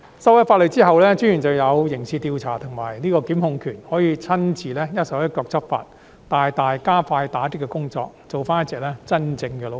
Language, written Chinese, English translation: Cantonese, 法例修改後，私隱專員便有刑事調査及檢控權，可以親自一手一腳地執法，大大加快打擊工作，做回一隻真正的老虎。, After the legislative amendment the Commissioner will have criminal investigation and prosecution powers to single - handedly enforce the law thus greatly speeding up the crackdown and becoming a real tiger again